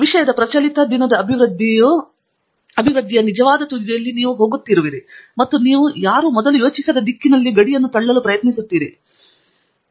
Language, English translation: Kannada, You know you are going to the real cutting edge of current day development round of the subject and you trying to push the boundaries in a direction in which nobody has thought of before